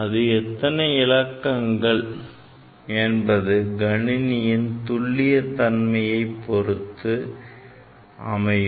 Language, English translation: Tamil, So, how many digit it will give, it will depend on the accuracy of the calculator, right